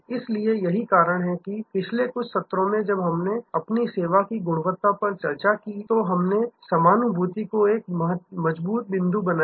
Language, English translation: Hindi, So, that is why, in the last few sessions, when we discussed our service quality, we made empathy such a strong point